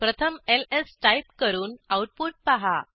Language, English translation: Marathi, First let us type ls and see the output